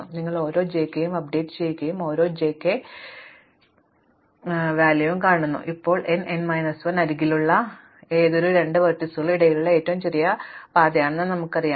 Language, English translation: Malayalam, So, you update every edge again and then you update every edge again, now we know that a shortest path between any two vertices as at most n minus 1 edges